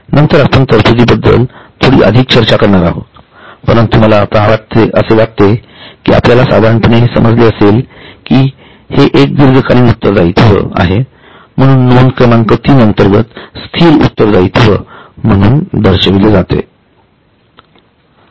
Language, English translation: Marathi, Later on we are going to discuss a bit more on provision but right now I think you would have generally understood that this is one of the long term liabilities that is why it is shown under item 3 that that is non current liabilities